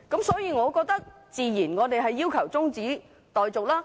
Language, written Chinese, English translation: Cantonese, 所以，我們自然要求中止待續。, Hence we certainly need to request an adjournment